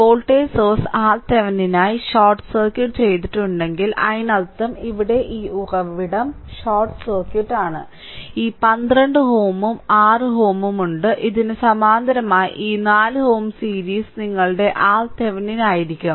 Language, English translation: Malayalam, So, if voltage source is short circuited for R Thevenin; that means, here this source is short circuited, this is short circuited and this is short circuited that means, this 12 ohm is and 6 ohm are in parallel with that this 4 ohm is in series that will be your R Thevenin